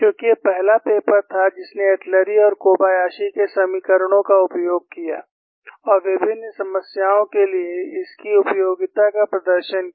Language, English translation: Hindi, Because this was the first paper, which utilized the equations of Atluri and Kobayashi and demonstrated it, its utility for a variety of problems